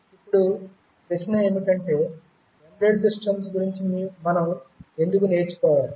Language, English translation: Telugu, Now the question is that why do we need to learn about embedded systems